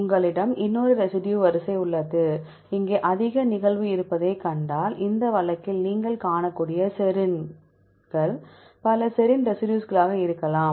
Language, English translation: Tamil, You have another residue sequence, here if you see there is a higher occurrence of serines you can see may be several serine residues in this case